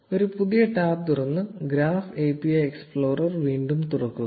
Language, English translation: Malayalam, Open a new tab and open the Graph API explorer again